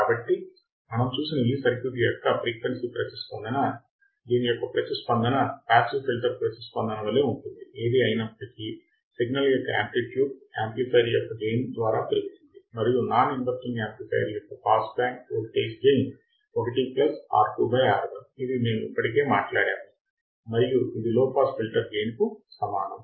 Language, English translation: Telugu, So, what we have seen is the frequency response of the circuit is same as that of the passive filter; however, the amplitude of signal is increased by the gain of the amplifier and for a non inverting amplifier the pass band voltage gain is 1 plus R 2 by R 1 as we already talked about and that is the same for the low pass filter